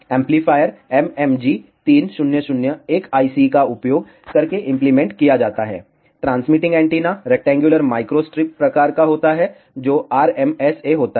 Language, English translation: Hindi, The amplifier is implemented using an MMG 3001 IC, the transmitting antenna is of rectangular microstrip type which is RMSA